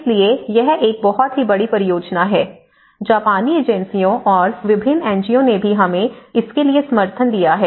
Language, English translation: Hindi, So, this is a kind of a very bulk project and the Japanese agencies and different NGOs also have given us support for that